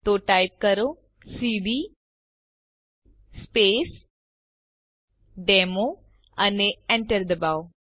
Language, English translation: Gujarati, So type cd Space Demo and hit Enter ls, press Enter